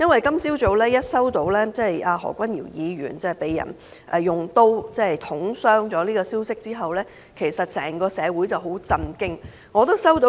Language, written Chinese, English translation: Cantonese, 今早聽到何君堯議員被人用刀捅傷的消息後，整個社會都很震驚。, This morning the entire community was deeply shocked by the news that Mr Junius HO had been stabbed